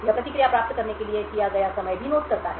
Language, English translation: Hindi, It also notes the time taken for the response to be obtained